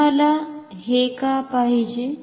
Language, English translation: Marathi, Why do you want this